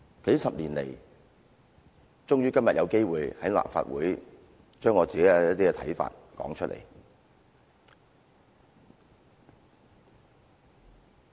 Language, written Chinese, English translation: Cantonese, 數十年來，今天我終於有機會在立法會說出我的一些看法。, A few decades down the line I finally have the opportunity to express my views in the Legislative Council today